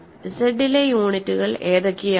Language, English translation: Malayalam, What are units in Z